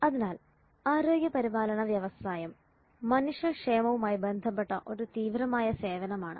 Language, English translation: Malayalam, So healthcare industry is an intensive form of service which is related to human well being